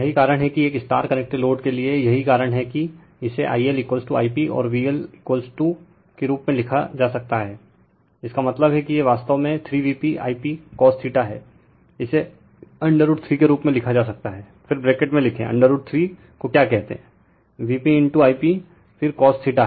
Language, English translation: Hindi, So, there is that is why for a star connected load that is why this one it can be written as your I L is equal to I p and V L is equal to that means, it is actually it is 3 V p I p cos theta, this can be written as root 3, then in bracket you write your root 3 your what you call V p right into I p then cos theta